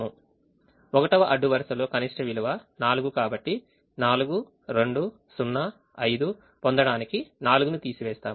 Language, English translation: Telugu, the row minimum in the first row is four, so we subtract four to get four, two zero, five, and so on